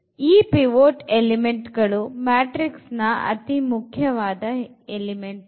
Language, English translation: Kannada, The pivot element are the important elements of this matrix